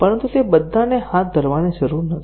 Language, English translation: Gujarati, But, not all of them need to be carried out